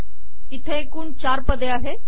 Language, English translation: Marathi, So there are four entries